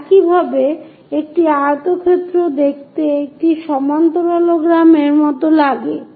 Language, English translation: Bengali, Similarly, a rectangle looks like a parallelogram